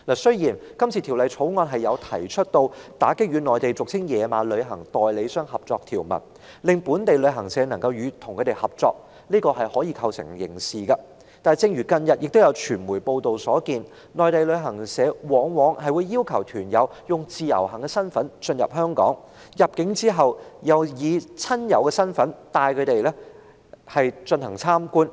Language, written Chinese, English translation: Cantonese, 雖然《條例草案》提出打擊與內地俗稱"野馬"的旅行代理商合作的條文，將本地旅行社與它們的合作刑事化，但正如近日傳媒所報道，內地旅行社往往要求團友以自由行身份進入香港，入境後又以親友身份帶他們參觀。, Although the Bill introduces provisions to prohibit local travel agents from cooperating with unauthorized travel agents in the Mainland and criminalize such acts of cooperation it has recently been reported in the media reports that Mainland travel agencies asked tour group members to enter Hong Kong as IVS tourists and tour - guiding services would be provided to them after their entry into Hong Kong by people posed as their relatives and friends